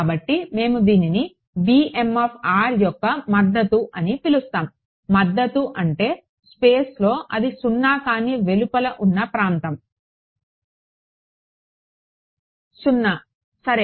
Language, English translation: Telugu, So, this is we called it the support of b m of r; support means, the region in space where it is non zero outside it is 0 ok